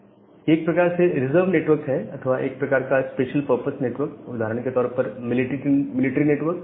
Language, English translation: Hindi, So, these are kind of reserved network or some kind of special purpose network; say for example, the military network